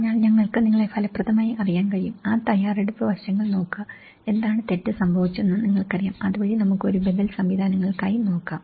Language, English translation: Malayalam, So that, we can effectively you know, look after those preparedness aspects, what went wrong you know, so that we can look for an alternative mechanisms